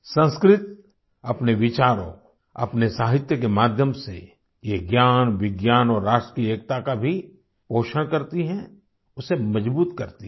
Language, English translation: Hindi, Through its thoughts and medium of literary texts, Sanskrit helps nurture knowledge and also national unity, strengthens it